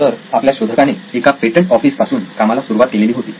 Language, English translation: Marathi, So our inventor actually started working in the patent office